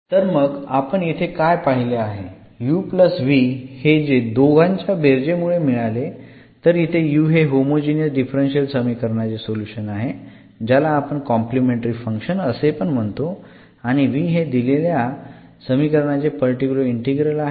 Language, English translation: Marathi, Then what we will observe here that this u plus v when we add these two, so this u the for the homogeneous equation which we call actually the complimentary function and a particular solution of the given differential equation we call the particular integral